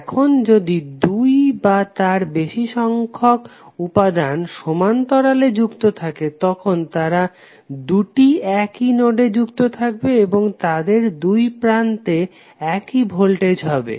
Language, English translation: Bengali, Now if there are two or more elements which are connected in parallel then they are connected to same two nodes and consequently have the same voltage across them